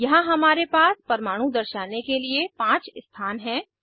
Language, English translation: Hindi, Here we have 5 positions to display atoms